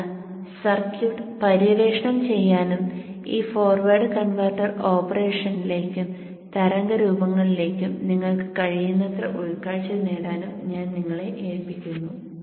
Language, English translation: Malayalam, So I will leave it to you to explore the circuit and try to get as much insight as you can into this forward converter operation and the waveforms